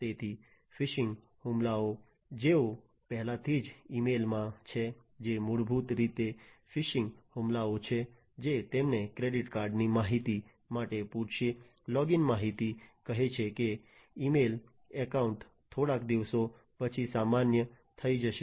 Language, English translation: Gujarati, So, phishing attacks, those of you who are already in the emails, you know, that many emails you get which are basically phishing attacks which will ask you for credit card information, the login information saying that the email account is going to be invalid after a few days, and so on